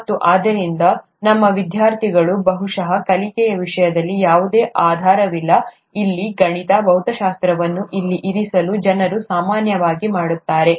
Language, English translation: Kannada, And so there is probably no basis in terms of learning, to place maths here, physics here, which people normally do, our students